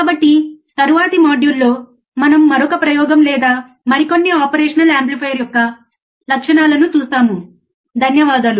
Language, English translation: Telugu, So, in the next module, we will see another experiment, or another characteristics of an operational amplifier